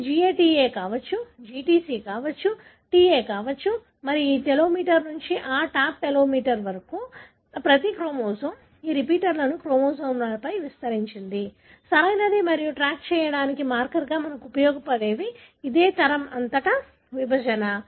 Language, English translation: Telugu, It could be GATA, it could be GTC, it could be TA and you can see that from this telomere to that top telomere, every chromosome has got these repeats spread over the chromosome, right and this is what we use as a marker to track the segregation across generation